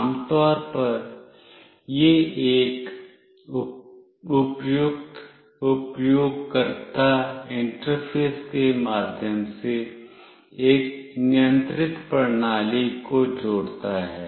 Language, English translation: Hindi, Typically, it connects a controlled system through a suitable user interface